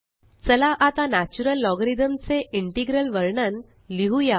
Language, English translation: Marathi, Let us now write the integral representation of the natural logarithm